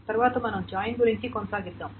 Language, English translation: Telugu, So, next, let us continue with join